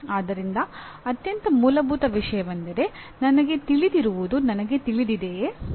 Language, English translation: Kannada, So the most fundamental thing is do I know what I know